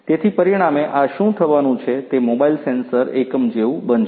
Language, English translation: Gujarati, So, consequently what is going to happen this is going to be like a mobile sensor unit right